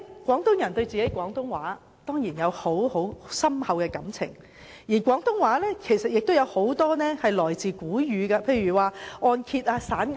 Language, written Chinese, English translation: Cantonese, 廣東人對廣東話當然有深厚感情，而且大部分廣東話表達法也是來自古語，例如按揭及散銀等。, Cantonese people certainly have profound feelings for Cantonese and most of the ways of expression in Cantonese also derive from ancient language such as mortgage coins and so on